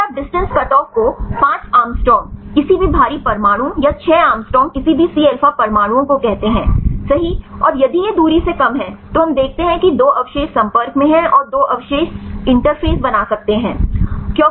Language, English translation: Hindi, Then you keep the distance cutoff say 5 angstrom any heavy atoms or 6 angstrom any C alpha atoms right and if this is less than the distance, then we see that 2 residues are in contact and the 2 residues may be form the interface residues right